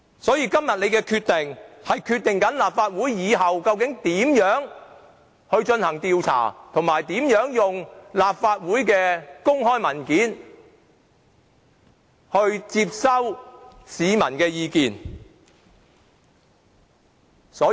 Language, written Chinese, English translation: Cantonese, 因此，今天大家所作的決定，將決定立法會日後如何進行調查，以及如何利用立法會的公開文件接收市民的意見。, Our decision today will therefore determine how this Council will conduct its inquiry and how it is going to receive peoples views on its public documents